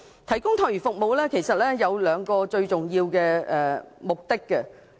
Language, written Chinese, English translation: Cantonese, 提供託兒服務其實有兩個最重要目的。, The provision of child care services serve two important purposes